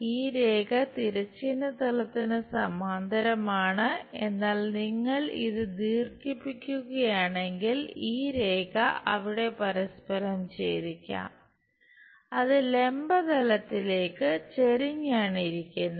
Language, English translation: Malayalam, This line is parallel to horizontal plane, but if you are extending it this line might intersect there it is incline with vertical plane